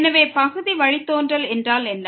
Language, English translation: Tamil, So, what is Partial Derivative